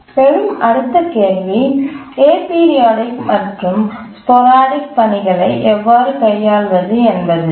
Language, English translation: Tamil, The next question comes is that how do we handle aperiodic and sporadic tasks